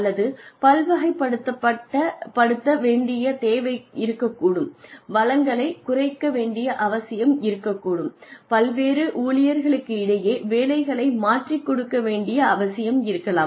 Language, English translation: Tamil, Or, , there could be a need to diversify, there could be a need to cut down resources, there could be a need to rotate jobs among various employees